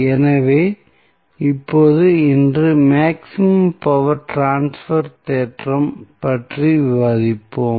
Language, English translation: Tamil, So, now, today we will discuss about the maximum power transfer theorem